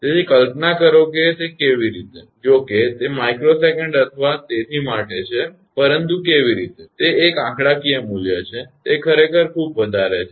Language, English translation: Gujarati, So, imagine that how; although it is for microsecond or so, but how; it is a numerical value, it is very high actually